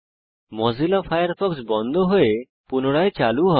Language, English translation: Bengali, Mozilla Firefox will shut down and restart